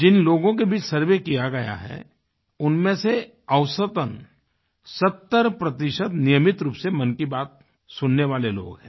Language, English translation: Hindi, Out of the designated sample in the survey, 70% of respondents on an average happen to be listeners who regularly tune in to ''Mann Ki Baat'